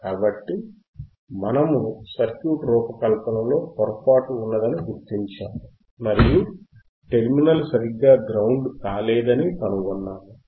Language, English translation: Telugu, Ah s So we have identified the mistake in the in the circuit design and what we found is that one of the terminal was not properly grounded alright